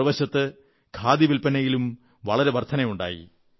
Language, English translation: Malayalam, On the other hand, it led to a major rise in the sale of khadi